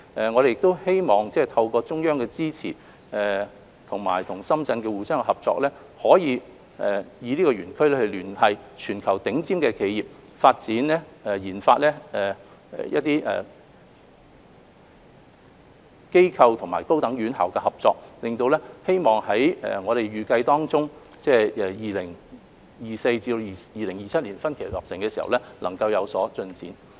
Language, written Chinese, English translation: Cantonese, 我們希望透過中央支持，加上與深圳的相互合作，可以利用這個園區聯繫全球頂尖的企業，推動研發機構及高等院校的合作，希望園區預計在2024年至2027年分期落成時，能有所進展。, With the support of the Central Authorities and our cooperation with Shenzhen we seek to make use of the zone to liaise with the worlds top enterprises and promote cooperation between research and tertiary institutions . It is hoped that progress can be made when the zone is completed in phases between 2024 and 2027